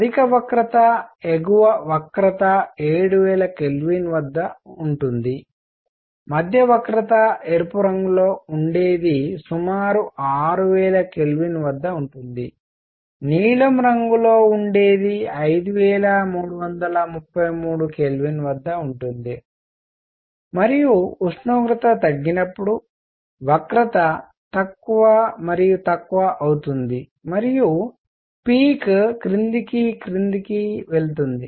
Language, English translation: Telugu, As the higher curve is the upper curve is at 7000 K; the middle curve red one is at roughly 6000 K; the blue one is at 5333 K and so on; as the temperature goes down the curve becomes lower and lower and the peak goes down and down